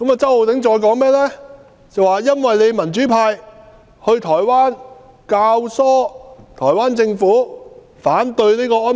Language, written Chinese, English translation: Cantonese, 周浩鼎議員還說，民主派到台灣，教唆台灣政府反對這個安排。, Mr Holden CHOW also alleged that democrats had instigated the Taiwan Government to oppose such arrangements during our visit to Taiwan